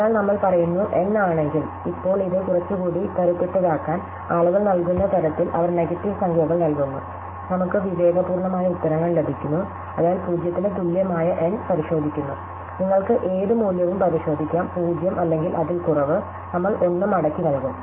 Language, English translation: Malayalam, Now, just to make it little more robust, so that people give, they give negative numbers, we get sensible answers, so just checking n equal to 0, you can just check for any value 0 or less, we will just return 1